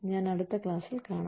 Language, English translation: Malayalam, I will see, in the next class